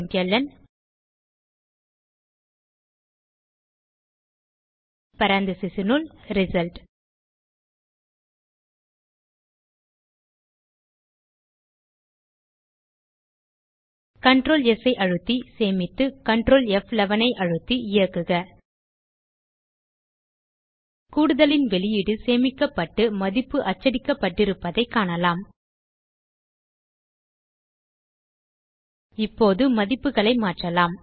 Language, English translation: Tamil, println in parantesis result Save it with Control S and control F11 to Run We see, that the output of addition has been stored in result and the value has been printed Now Let us change the values